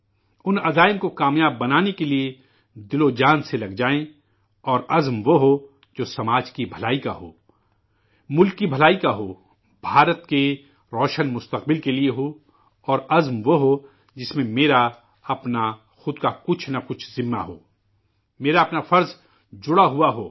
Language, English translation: Urdu, and to realize those resolves, we persevere wholeheartedly with due diligence…and resolves should be such that are meant for welfare of society, for the good of the country, for a bright future for India…resolves should be such in which the self assumes one responsibility or the other…intertwined with one's own duty